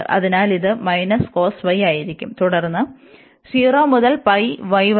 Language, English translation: Malayalam, So, this will be minus cos y and then 0 to pi y